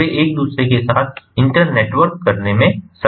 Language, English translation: Hindi, they are going to be internetworked